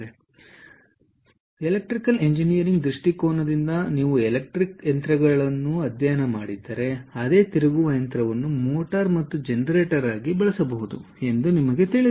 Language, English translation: Kannada, and, ah, from electrical engineering ah viewpoint, if you have studied electric machines, you would know that the same rotating machine can be used both as a motor and a generator